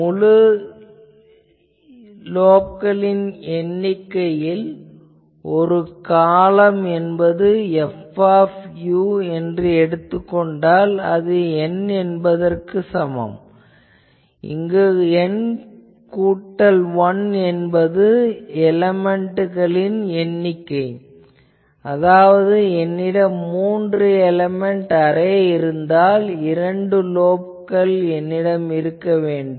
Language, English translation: Tamil, In number of full lobes in one period of F u one period of F u that equals N, where N plus 1 is our element number that means, if I have three element array, I should have two lobes